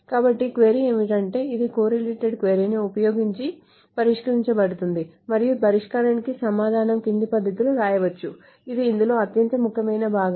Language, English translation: Telugu, So the query is, so this is solved using a correlated query and the answer to the solution can be written in the following manner